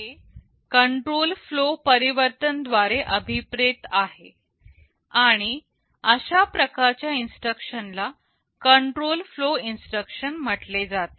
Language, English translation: Marathi, This is what is meant by change of control flow, and such instructions are termed as control flow instructions